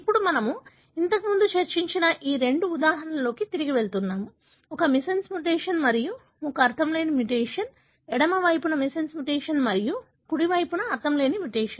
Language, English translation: Telugu, So, we are going back to these two examples that we discussed earlier, one missense mutation and one nonsense mutation; the missense mutation on the left side and the nonsense mutation on the right side